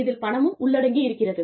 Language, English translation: Tamil, There is money involved